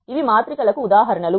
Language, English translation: Telugu, These are the examples of matrices